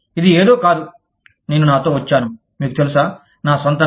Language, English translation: Telugu, This is not something, that i have come up with my, you know, on my own